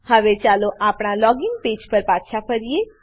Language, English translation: Gujarati, Now, let us come back to our login page